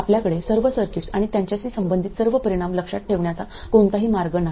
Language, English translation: Marathi, There is no way you can memorize all the circuits and all the results pertaining to them